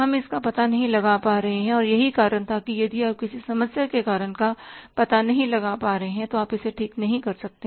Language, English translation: Hindi, We are not able to find it out and that was the reason that if you are not able to find out the cause of any problem you cannot rectify it